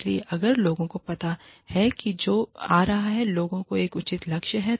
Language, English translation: Hindi, So, if people know, what is coming, people have a reasonable goal